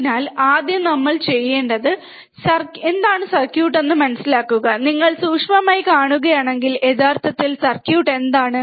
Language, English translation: Malayalam, So, first thing we have to understand what is the circuit, if you see closely, right what actually the circuit is